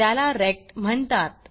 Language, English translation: Marathi, It is called rect